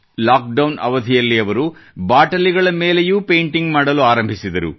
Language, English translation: Kannada, During the lockdown, she started painting on bottles too